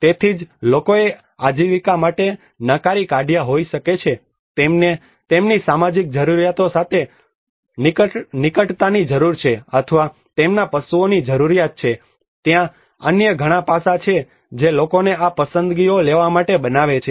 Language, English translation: Gujarati, So that is where people may have rejected for their livelihood needs the proximity or their cattle needs with their social needs there are many other aspects there many other forces which make the people to take these choices